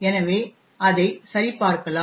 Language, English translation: Tamil, So, let us verify that